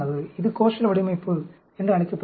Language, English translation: Tamil, This is called a Koshal Design